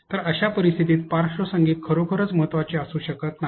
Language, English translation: Marathi, So, in such cases the background music may not be actually of importance